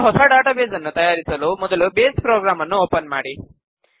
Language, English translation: Kannada, To create a new Database, let us first open the Base program